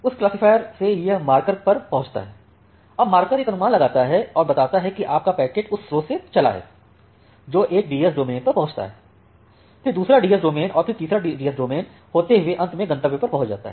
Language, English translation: Hindi, From that classifier, it is coming to the marker, now the marker make an estimate say your packet is a from the source it is going to one DS domain then another DS domain then the third DS domain and finally, the destination